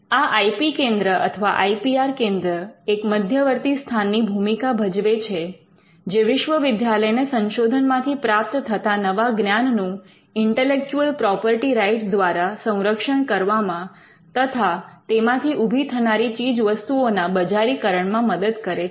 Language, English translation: Gujarati, So, the IP center or an IPR centre is a nodal point, which helps the university to capture the new knowledge that comes out of research and protected by way of intellectual property rights and helps in the commercialization of products that come out of research